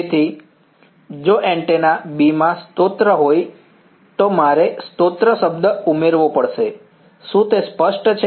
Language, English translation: Gujarati, So, if there were source in antenna B then I have to add the source term that is all, is it clear